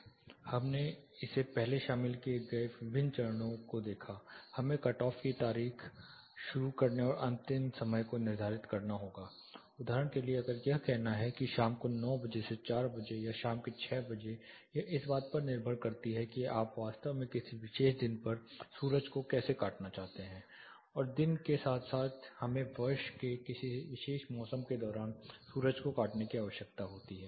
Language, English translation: Hindi, We saw this the different steps involved first; we have to determine the cutoff date start and end times say for example, if it is like say 9 o clock to 4 o clock in the evening or 6 o clock in the evening depends on when you want to really cut off sun on a particular day as well as when do we need to cut off the sun during a particular season of the year